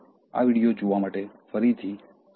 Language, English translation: Gujarati, Thanks again for watching this video